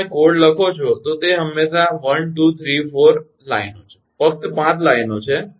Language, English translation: Gujarati, it is always one, two, three, four lines, only five line